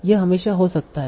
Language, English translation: Hindi, It cannot happen